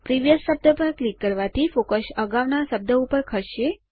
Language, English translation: Gujarati, Clicking on Previous will move the focus to the previous instance of the word